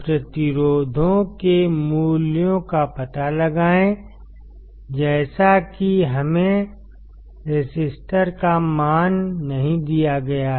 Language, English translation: Hindi, Find the values of resistors; as we have not been given the values of resistor